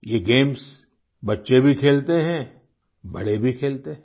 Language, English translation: Hindi, These games are played by children and grownups as well